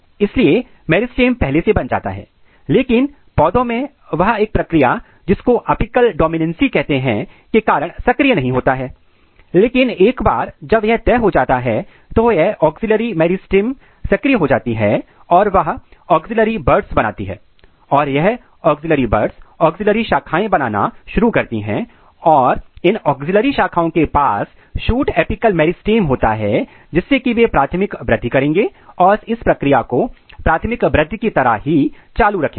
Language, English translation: Hindi, So, meristem are already defined, but they are not getting activated this is because of a process called apical dominancy in case of plants, but once the decision is being taken place this meristematic activity or this axillary meristem they get activated and then they will make axillary buds and these axillary buds they will start making axillary branches and this axillary branches they will have a shoot apical meristem and they will do the process of primary growth they will continue the process very similar to the primary growth